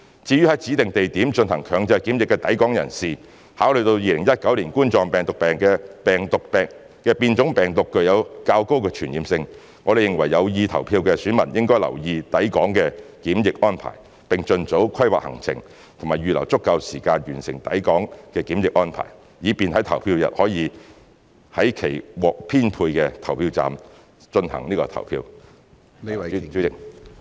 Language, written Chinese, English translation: Cantonese, 至於在指定地點進行強制檢疫的抵港人士，考慮到2019冠狀病毒病的變種病毒具有較高傳染性，我們認為有意投票的選民應留意抵港的檢疫安排，並盡早規劃行程及預留足夠時間完成抵港檢疫安排，以便在投票日可在其獲編配的投票站內行使投票權。, As regards persons arriving at Hong Kong who are undergoing compulsory quarantine at designated places considering that COVID - 19 cases with mutant strain are of relatively higher transmissibility we consider that electors who intend to vote should take note of the quarantine measures for inbound travellers and plan their itinerary as early as possible to allow sufficient time for quarantine arrangements so that they can exercise their voting right at their allocated polling stations on the polling day